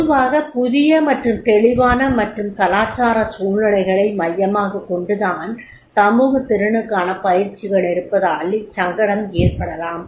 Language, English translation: Tamil, Now un easiness can be because of the social skills training focusing on new and unclear and intercultural situations are there